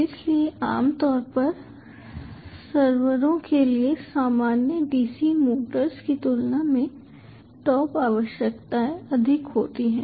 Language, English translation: Hindi, like generally for servers, the top requirements are high as compared to normal dc motors